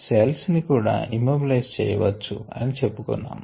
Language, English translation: Telugu, we also said that cells could be immobilized